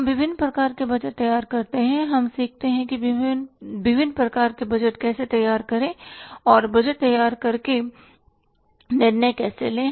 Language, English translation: Hindi, We prepare the different kind of the budgets, we learn how to prepare the different types of the budgets and how to take decisions by preparing the budgets